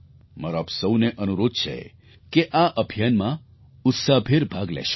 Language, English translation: Gujarati, I urge you all to be a part of this campaign